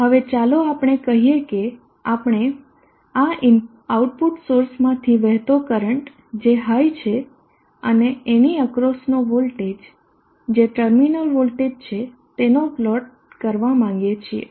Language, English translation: Gujarati, Now let us say we would like to plot the current through this output source where is high and the node voltage across this that is the terminal voltage